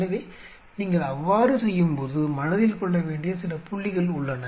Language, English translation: Tamil, So, when you do so there are few points what has to be taken to mind